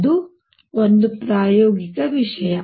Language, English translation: Kannada, That is one experimental thing